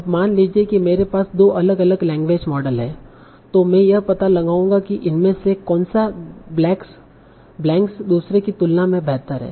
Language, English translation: Hindi, Now suppose I have two different language models I'll find out which of these fills up these blanks better than the other one